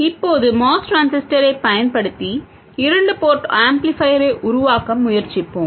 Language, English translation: Tamil, We will now try to make a two port amplifier using the MOS transistor